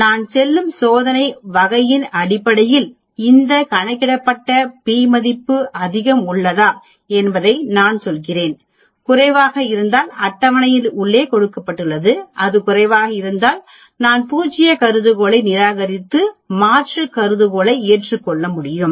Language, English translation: Tamil, Then I calculate my t or a z value based on the type of test I am going and then I tell whether this calculated p value is much less then what is given in the table, if it is less yes, I can reject the null hypothesis and accept the alternative hypothesis